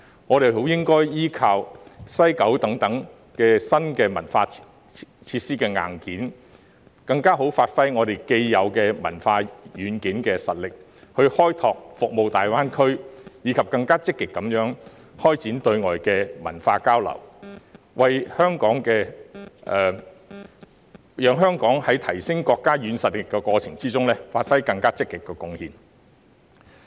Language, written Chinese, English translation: Cantonese, 我們應該利用西九等新文化設施硬件，更充分發揮我們既有的文化軟件實力，從而開拓大灣區市場，以及更積極開展對外的文化交流，讓香港在提升國家軟實力的過程中，作出更積極的貢獻。, We should make use of the hardware of new cultural facilities such as the West Kowloon Cultural District and give full play to the strengths of our existing cultural software thereby exploring the market in GBA and actively promoting outbound cultural exchanges so that Hong Kong can contribute more directly to enhancing the soft power of the country